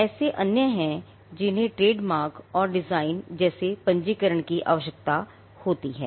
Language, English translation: Hindi, There are others which require registration like trademarks and designs